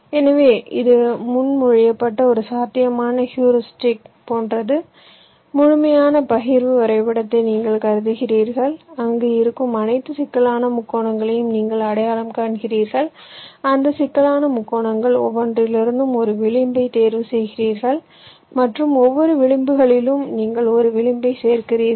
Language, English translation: Tamil, so what we do one possible heuristic that has been proposed is something like this: you consider the complete partitioning graph, you identify all complex triangles that exists there, you select one edge from each of those complex triangles and in each of edges you add one edge, which means it is something like this: let say, your complex triangle look like this